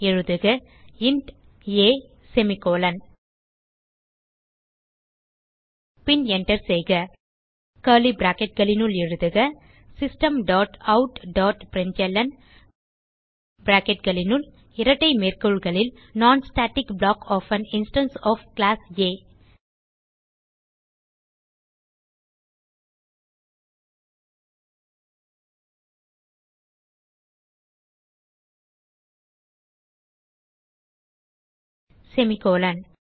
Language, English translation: Tamil, So type int a semicolon, then press Enter Within curly brackets type System dot out dot println within brackets and double quotes Non static block of an instance of Class A semicolon